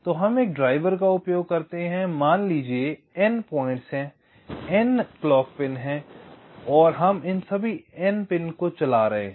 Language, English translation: Hindi, so, going back, so we use a drive, let us say n points, there are n clock pins